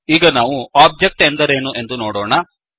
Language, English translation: Kannada, Now, let us see what an object is